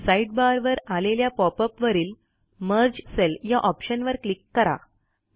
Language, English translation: Marathi, In the sidebar which pops up, click on the Merge Cells option